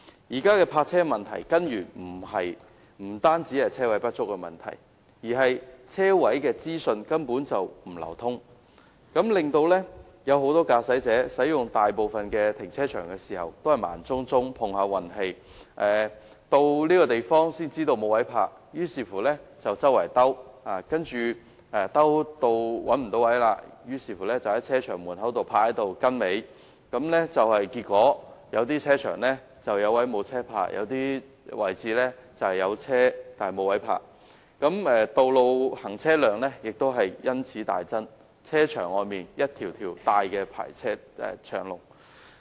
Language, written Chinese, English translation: Cantonese, 現時有關泊車的問題，根源不單是泊車位不足，而是泊車位的資訊根本不流通，令很多駕駛者使用大部分的停車場時都是盲摸摸碰運氣，到達時才知道沒有泊車位，於是駕着車輛四處尋找，如果再找不到車位，便停泊在停車場門前排隊，結果有些停車場"有位無車泊"，有些則"有車但無位泊"，道路行車量也因此大增，停車場外汽車大排長龍。, Such being the case they have to drive around in search of parking spaces and if they cannot find any they will have to wait in their cars and queue up in front of the car park . As a result in some car parks there are parking spaces not taken up by vehicles whereas in some other car parks there are drivers unable to find parking spaces for their vehicles . The traffic volume on roads will hence be increased substantially and there are long queues of vehicles waiting outside car parks